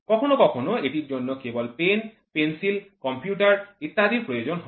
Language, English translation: Bengali, Sometimes it requires only it requires only pen, pencil, computer etc